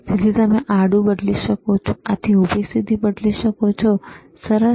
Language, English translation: Gujarati, So, you can change the horizontal, you can change the vertical positions ok, this nice